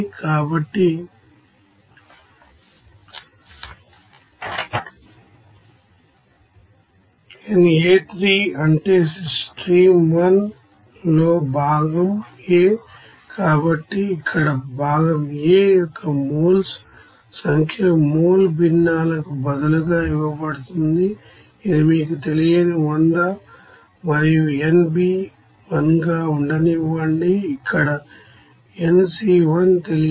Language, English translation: Telugu, So nA1 means component A in stream 1, so here number of moles of component A here it is given instead of mole fractions let it be 100 and n B 1 that will be unknown to you, nC here 1 that will be unknown